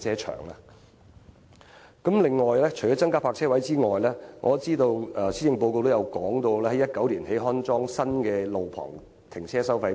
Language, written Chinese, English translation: Cantonese, 除了增加泊車位外，我知道施政報告也提到，將於2019年安裝新一代路旁停車收費錶。, Apart from increasing the number of parking spaces the Policy Address also says the Government will install a new generation of on - street parking meters in 2019